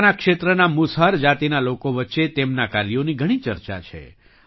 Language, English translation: Gujarati, There is a lot of buzz about his work among the people of the Musahar caste of his region